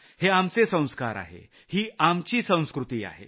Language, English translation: Marathi, These are a part of our values and culture